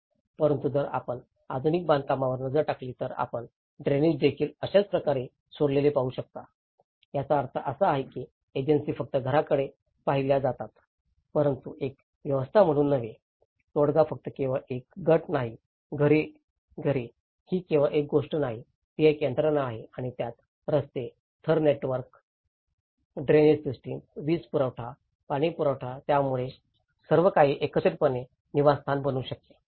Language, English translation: Marathi, But if you look at the modern constructions, you can see even the drainage has left just alone like this, so which means the agencies are looked only at a house but not as a system of things, a settlement is not just only a group of houses, it is not just a thing, it is a system of things and it can incorporate the road layer network, the drainage systems, the electricity, the supply, water supply, so everything together that makes a habitat